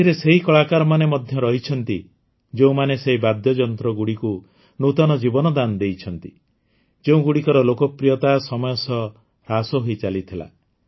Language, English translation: Odia, These also include artists who have breathed new life into those instruments, whose popularity was decreasing with time